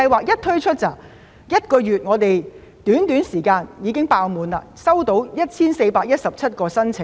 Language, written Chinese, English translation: Cantonese, 在推出這項計劃後，在短短一個月內已經額滿，共收到 1,417 宗申請。, Shortly after the introduction of the scheme the quotas have been fully taken up within one month and we received a total of 1 417 applications